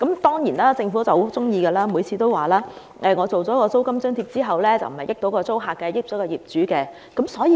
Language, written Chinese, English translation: Cantonese, 當然，政府多次強調，推出租金津貼不會令租戶得益，只對業主有利。, Of course the Government has repeatedly stressed that the introduction of a rental allowance will benefit not tenants but only landlords